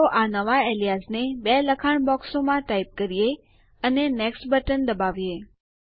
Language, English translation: Gujarati, So let us type in these new aliases in the two text boxes and click on the Next button